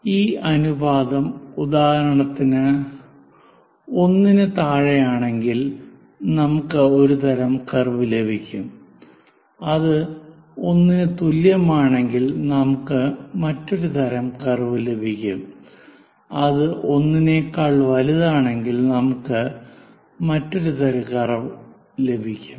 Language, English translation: Malayalam, If it makes one particular unit, for example, less than 1 we get one kind of curve, if it is equal to 1, we get one kind of curve, if it is greater than 1 we get another kind of curve